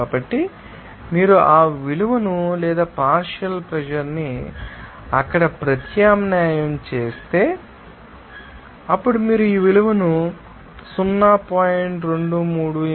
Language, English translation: Telugu, So, if you substitute this value or partial pressure there, then you can have this value of 0